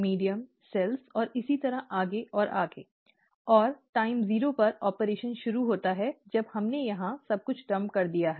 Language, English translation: Hindi, Medium cells and so on and so forth, and at time zero, the operation starts after we have dumped everything here